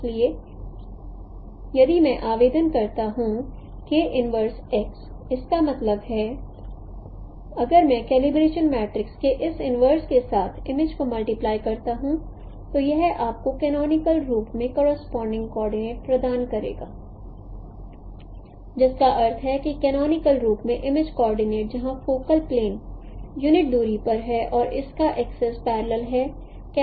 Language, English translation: Hindi, So if I apply the k inverse x, that means if I multiply the image coordinate with this inverse of calibration matrix it will provide you the corresponding coordinate in the canonical form which means no the image coordinate in the canonical form where the focal plane is at the unit distance and its axis are parallel to the axis of the camera centric coordinate system